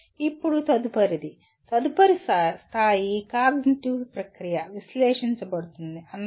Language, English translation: Telugu, Now the next one, next level cognitive process is analyze